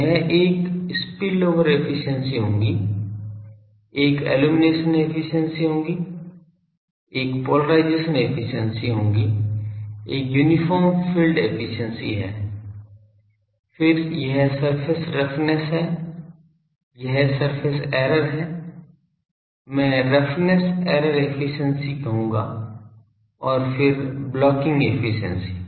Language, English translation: Hindi, So, that will be one is spillover efficiency, one is illumination efficiency, one is polarisation efficiency, one is uniform field efficiency, then this surface roughness, this is surface error; surface I will say roughness error efficiency and then the blocking efficiency